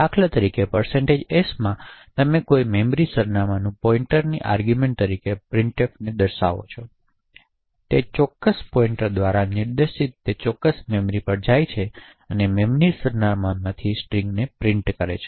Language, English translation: Gujarati, In % s for example you specify a memory address as the argument of a pointer as an argument and printf would go to that particular memory actress pointed to by that particular pointer and print the string from that memory address